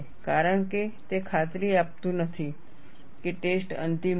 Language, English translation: Gujarati, Because, it does not guarantee that the test would be final